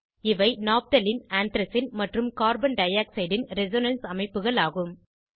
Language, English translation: Tamil, These are the resonance structures of Naphthalene, Anthracene and Carbon dioxide